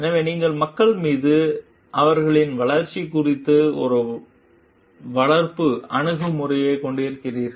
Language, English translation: Tamil, So, you do have a nurturing attitude towards the people, towards their growth